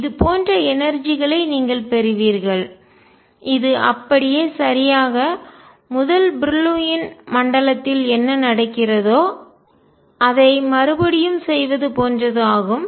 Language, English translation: Tamil, You will get energies which are like this, exact repetition of what is happening in the first Brillouin zone